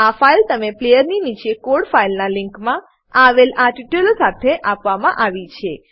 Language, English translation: Gujarati, This file has been provided to you along with this tutorial, in the Code Files link, below the player